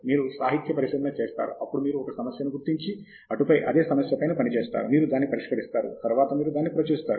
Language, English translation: Telugu, You do literature survey, then you identify a problem, and work on the problem, you solve it, then you publish it, you get out